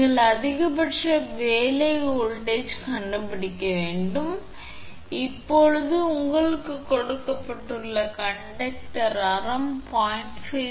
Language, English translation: Tamil, You have to find out maximum working voltage, now that r your which given conductor radius 0